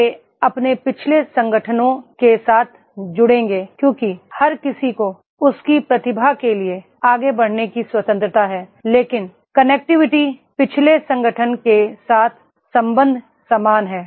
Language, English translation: Hindi, They will be in connect with their past organizations because everybody has a freedom to go further for his progress but the connectivity, the relationship with the past organization is the same